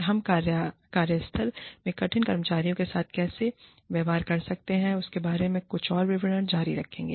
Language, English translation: Hindi, We will continue, with some more details, regarding how you can deal with difficult employees, in the workplace